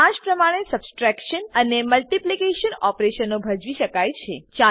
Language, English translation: Gujarati, Similarly the subtraction and multiplication operations can be performed